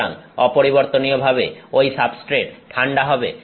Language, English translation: Bengali, So, in invariably that substrate is cooled